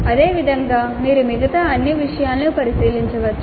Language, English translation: Telugu, Similarly you can look into all the other things